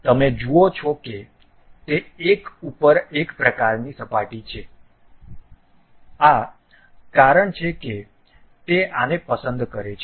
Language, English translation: Gujarati, You see they are coincident kind of surface that is the reason it is pick this one